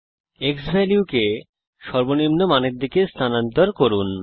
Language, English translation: Bengali, Lets move the xValue towards minimum value